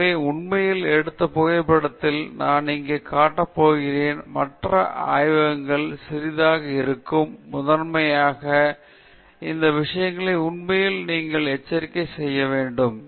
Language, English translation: Tamil, So, in fact, in the next photograph I am going to show here little bit of other things in the lab will be there, primarily, to alert you to the fact such things happen